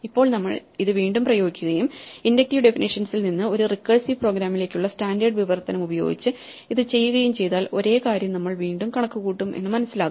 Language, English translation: Malayalam, So, once again if we now apply this and do this using the standard translation from the inductive definition to a recursive program, we will find that we will wastefully recompute the same quantity multiple times for instance paths(